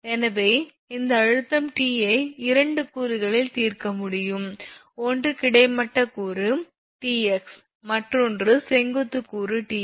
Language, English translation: Tamil, So, in that case this tension T it is it can be resolved T in two components one is horizontal component Tx another is vertical component Ty